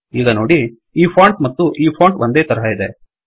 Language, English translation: Kannada, See this now, now this font and this font are identical